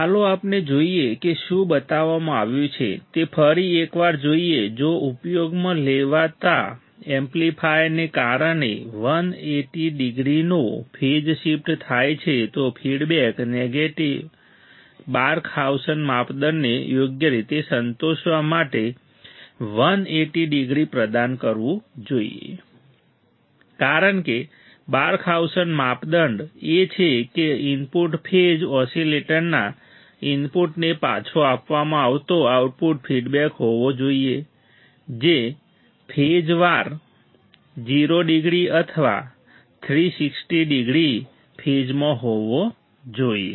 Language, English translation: Gujarati, Let us see what is shown let us see once again, if the amplifier used causes a phase shift of 180 degrees the feedback network should provide 180 degrees to satisfy the Barkhausen criteria right because Barkhausen criteria is that the input phase should be the output feedback provided back to the input of the oscillator should be 0 degree in phase or 360 degree in phase, right